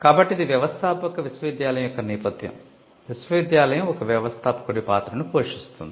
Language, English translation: Telugu, So, this is the background of the entrepreneurial university, the university donning the role of an entrepreneur